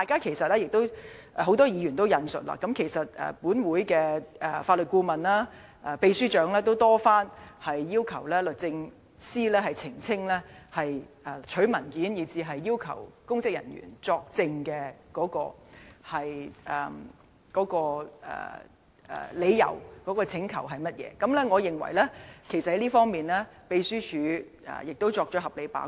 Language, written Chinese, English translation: Cantonese, 正如很多議員所引述，立法會的法律顧問及秘書長均已多番要求律政司澄清索取文件和要求公職人員作證的理由及請求的內容，而我認為秘書處在這方面已作了合理的把關。, As many Members have said both the Legal Adviser and Secretary General of the Legislative Council had already requested DoJ time and again to elucidate the reasons for requesting the submission of documents and for public officers to give evidence as well as set out the details of the request . Hence I think the Secretariat had reasonably performed its gate - keeping role